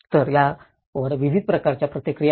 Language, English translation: Marathi, So, there is a wide variety of responses